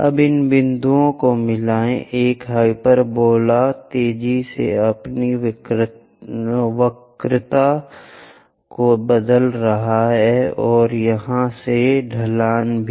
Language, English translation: Hindi, Now, join these points, hyperbola isvery fastly changing its curvature and also the slope from here